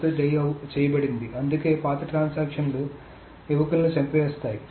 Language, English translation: Telugu, So that is why the older transactions kill young ones